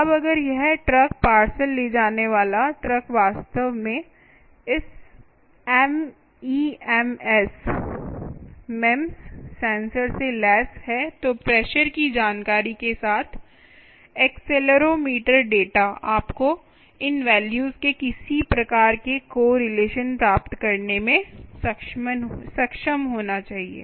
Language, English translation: Hindi, now, if that truck carrying the parcel actually is equip with this mems sensor ah, ah the accelero, ah the accelerometer data, along with the pressure information, ah, you should be able to get some sort of correlation of these values